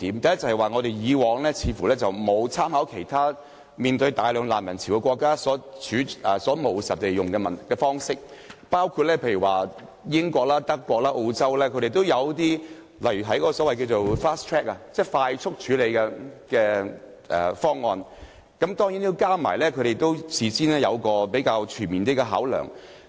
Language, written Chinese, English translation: Cantonese, 第一，我們過往似乎沒有參考其他面對大量難民潮的國家的務實處理方式，例如英國、德國及澳洲均有實施一些快速處理方案，但當然須在事前作出比較全面的考量。, First of all it seems that we have never made any reference previously to the pragmatic approach adopted by other countries faced with an influx of refugees . Fast track schemes are implemented in countries such as the United Kingdom Germany and Australia but there must of course be comprehensive consideration beforehand